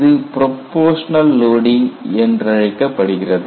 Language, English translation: Tamil, This is called proportional loading